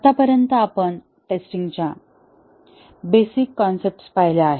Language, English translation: Marathi, So far, we have looked at basic concepts on testing